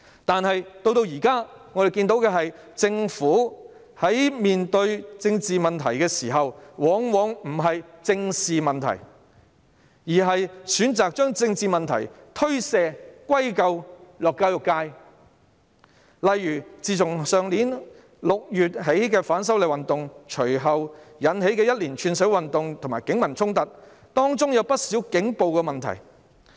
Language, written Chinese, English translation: Cantonese, 但是，至今我們看到，在面對政治問題時，政府往往不正視問題，反而選擇把政治問題推卸及歸咎於教育界，例如自去年6月起，反修例運動引起一連串社會運動和警民衝突，當中有不少警暴問題。, However so far we have seen that facing political problems very often the Government did not squarely address the problems . Instead it chose to pass the buck and attribute the political problems to the education sector . For example since June last year the movement of opposition to the proposed legislative amendments has triggered a series of social campaigns and conflicts between the Police and the public entailing many problems of police brutality